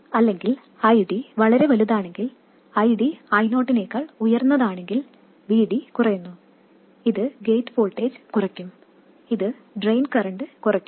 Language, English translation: Malayalam, Or if ID is too much, if ID is higher than I 0, then the VD will go on decreasing which will in turn reduce the gate voltage, which will in turn reduce the drain current